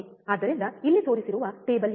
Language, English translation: Kannada, So, what is the table shown here